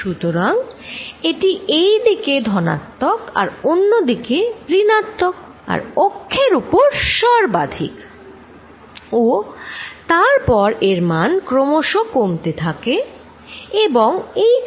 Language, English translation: Bengali, So, that it is positive all over here and negative on the other side maximum being along this axis and then it diminishes and becomes 0 here